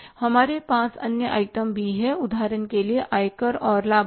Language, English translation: Hindi, We have other items also say for example income tax and dividend